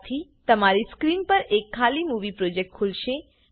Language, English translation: Gujarati, This will open an empty movie project on your screen